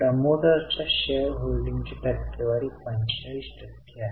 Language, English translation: Marathi, The percentage of shareholding of promoters is 45%